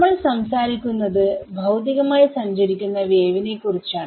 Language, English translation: Malayalam, So, so we are talking about the wave that is physically travelling ok